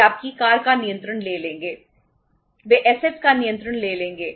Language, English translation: Hindi, They will take the control of your car